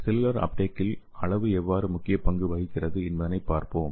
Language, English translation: Tamil, So let us see how the size plays a major role in cellular uptake